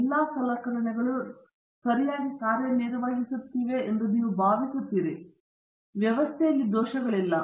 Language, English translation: Kannada, We assume that all the equipment, instruments are all working fine, there are no systematic errors